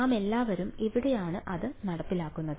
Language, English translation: Malayalam, Where all are we enforcing this